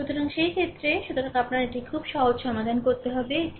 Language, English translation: Bengali, So, in that case; so, you have to solve this one very simple, it is